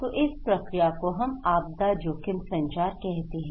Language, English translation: Hindi, So, this process, we called disaster risk communications